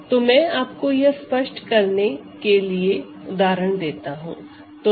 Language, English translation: Hindi, So, let me give you a couple of quick examples to be clear about this idea